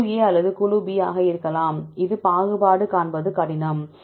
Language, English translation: Tamil, May be either group A or group B this is the reason why it is find a difficult to discriminate